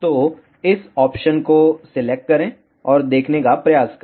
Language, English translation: Hindi, Select this option, and try to see